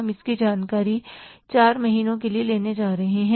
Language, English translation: Hindi, We are going to take this information for the 4 months